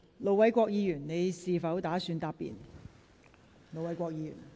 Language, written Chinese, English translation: Cantonese, 盧偉國議員，你是否打算答辯？, Ir Dr LO Wai - kwok do you wish to reply?